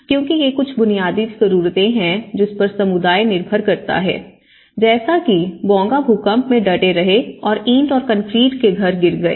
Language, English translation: Hindi, So, because these are some basic needs one a community relies upon, so these are and whereas brick and concrete house has fallen but as the Bonga have resisted